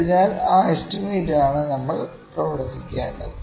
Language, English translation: Malayalam, So, those that estimate we need to work on